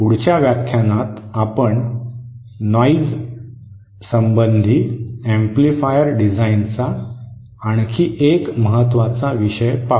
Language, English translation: Marathi, In the next lecture, we shall be covering another important aspect of amplifier designs which is noise